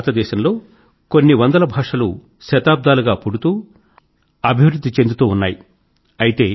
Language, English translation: Telugu, Hundreds of languages have blossomed and flourished in our country for centuries